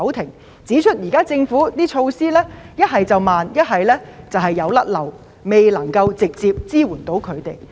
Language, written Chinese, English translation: Cantonese, 他們指出，政府現時的措施不是過於緩慢，便是有遺漏，未能直接向他們提供支援。, They pointed out that the government measures have come too slow and there are omissions failing to provide direct assistance to them